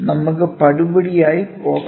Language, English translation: Malayalam, So, let us go step by step